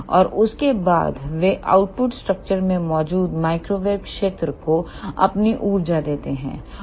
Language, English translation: Hindi, And after that they give their energy to the microwave field present in the output structure